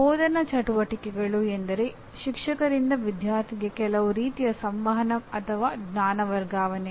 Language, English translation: Kannada, Instructional activities means in some kind of interaction or knowledge transfer from the teacher to the student